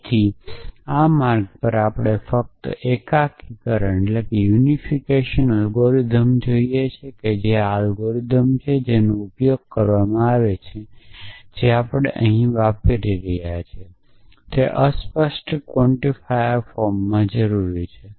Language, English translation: Gujarati, So, on the way we will need to just have a quick look at the unification algorithm which is this algorithm which is used for matching a to terms like this which is necessary in the implicit quantifier form that we are using here